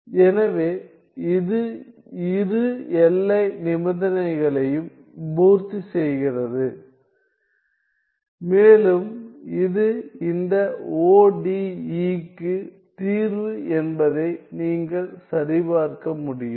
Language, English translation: Tamil, So, it satisfies both the boundary conditions and it is you can it can be checked it is the solution to this ODE